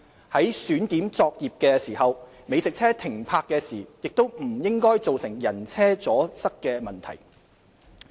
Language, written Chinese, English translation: Cantonese, 在選點作業的時候，美食車停泊時亦不應造成人車阻塞等問題。, Moreover in identifying the operating locations of food trucks they should not cause obstruction to pedestrians or other vehicles when being parked